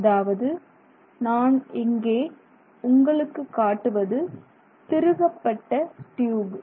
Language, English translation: Tamil, So you can see here clearly, it's a twisted tube